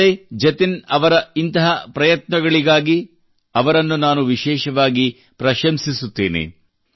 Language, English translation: Kannada, Be it Sanjay ji or Jatin ji, I especially appreciate them for their myriad such efforts